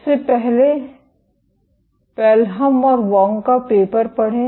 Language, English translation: Hindi, First of all, read the Pelham and Wang paper